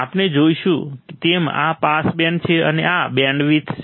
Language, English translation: Gujarati, This is the pass band as we have seen and this is the bandwidth